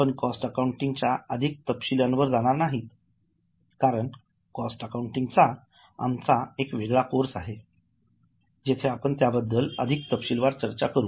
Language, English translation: Marathi, We will not go into too much details of cost accounting because we are having a separate course on cost accounting where we'll discuss further details about it